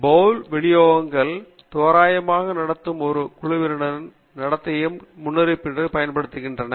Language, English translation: Tamil, And Paul distributions are used to predict the behavior of a group of randomly behaving entities